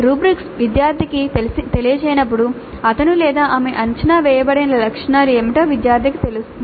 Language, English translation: Telugu, When the rubrics are communicated to the student, student knows what are the attributes on which he or she is being assessed